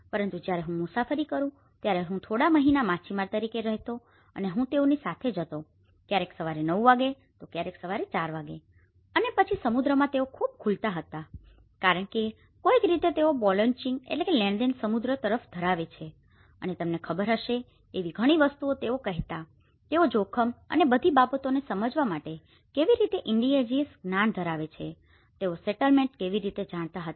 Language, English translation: Gujarati, But when I travelled, I used to live as a fisherman for a few months and I used to travel to them, their Sea in the morning nine o clock, morning four o clock and then in the sea they used to open up a lot because they somehow, their belonging goes the essence of belonging is more to the sea and they used to open up many things you know, how they identified the settlement how they have the indigenous knowledge to understand the risk and all these things